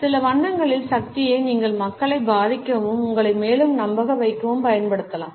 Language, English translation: Tamil, You can use the power of certain colors to influence people and make yourself more persuasive